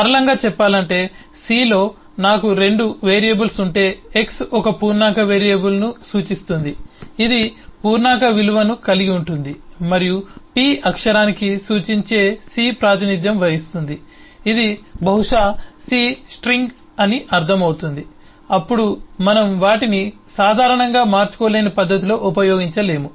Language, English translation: Telugu, what, in simple terms, it means that if I have eh, the 2 variables, eh in c, say x representing an integer variable, ah, which will contain a integer value, and p representing a pointing to character, which will probably mean a c string, then we cannot use them usually in interchangeable manner